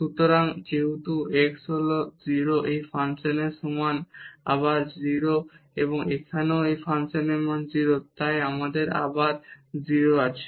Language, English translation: Bengali, So, since x is 0 the value of this function is again 0 and here also the value of this function is 0 so, we have again 0